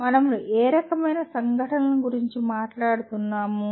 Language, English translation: Telugu, What type of events are we talking about